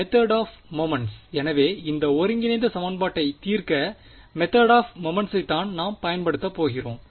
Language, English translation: Tamil, So, method of moments is what will use to solve this integral equation